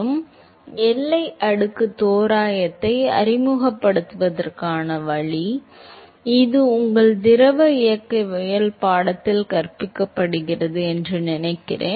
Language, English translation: Tamil, So, the way to introduce the boundary layer approximation, I suppose that it iss being taught in your fluid mechanics course